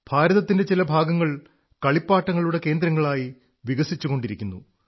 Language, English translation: Malayalam, Some parts of India are developing also as Toy clusters, that is, as centres of toys